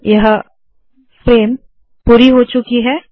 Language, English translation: Hindi, And this frame is over